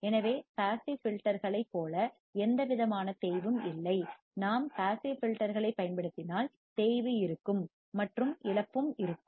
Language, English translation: Tamil, Hence, no attenuation as in case of passive filters; we use passive filters, there will be attenuation and there will be loss